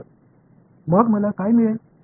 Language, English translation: Marathi, So, what will I get